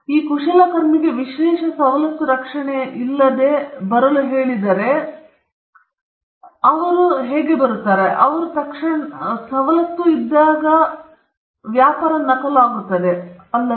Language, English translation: Kannada, If these craftsman, were asked to come without the protection of an exclusive privilege, then they come in here and immediately their trade gets copied, isn’t